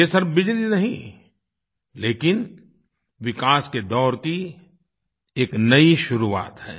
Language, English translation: Hindi, This is not just electricity, but a new beginning of a period of development